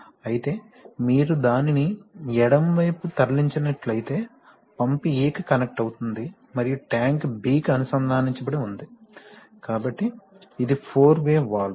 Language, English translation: Telugu, While on the, if you move it to the left then pump is connected to A and tank is connected to B, so this is a four way valve